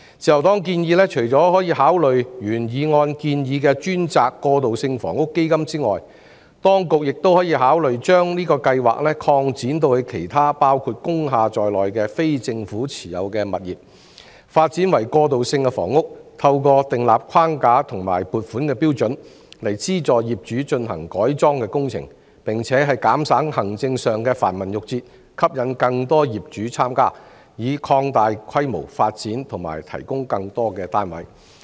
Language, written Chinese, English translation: Cantonese, 自由黨建議，除了可以考慮按原議案的建議成立專責"過渡性房屋基金"外，當局亦可以考慮將這個計劃擴展至其他包括工廈在內的非政府持有物業，讓其發展為過渡性房屋，透過訂立框架及撥款標準，資助業主進行改裝工程，並且減省行政上的繁文縟節，吸引更多業主參加，以擴大規模發展及提供更多單位。, The Liberal Party proposed that the establishment of a dedicated transitional housing fund in accordance with the proposal in the original motion be considered besides the authorities could also consider extending this project to other non - government properties which include industrial buildings to enable them to be developed into transitional housing assisting the property owners to carry out conversions through formulation of framework and funding allocation standard and reducing the administrative red tape to attract more property owners to participate so as to expand the development scale and provide more flats